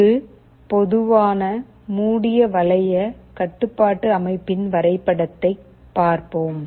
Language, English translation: Tamil, Let us look at a diagram of a typical closed loop control system